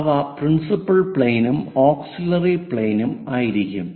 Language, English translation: Malayalam, The other planes are called auxiliary planes